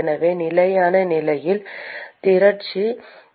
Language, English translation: Tamil, So, at steady state, accumulation is 0